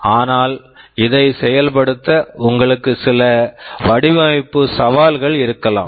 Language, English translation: Tamil, But in order to have this implementation, you may have some design challenges